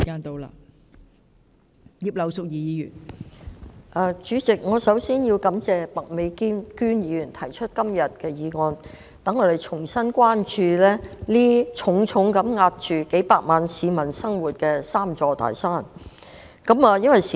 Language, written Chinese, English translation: Cantonese, 代理主席，首先，我要感謝麥美娟議員今天提出這項議案，讓我們重新關注重重壓着數百萬市民生活的"三座大山"。, Deputy President first of all I thank Ms Alice MAK for proposing this motion today so that we can revisit the three big mountains which are heavily burdening the life of millions of people